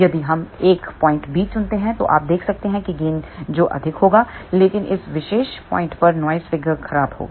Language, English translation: Hindi, If we choose a point B you can see that gain will be higher, but noise figure will be poor at this particular point over here